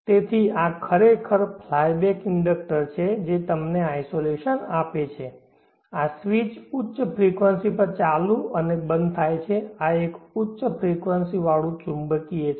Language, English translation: Gujarati, So this is actually a fly back inductor which gives you the isolation this switch is switched on and off at high frequency this is a high frequency magnetic